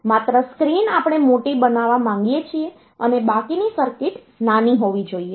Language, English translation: Gujarati, Only the screen we want to be larger rest of the circuit they should be small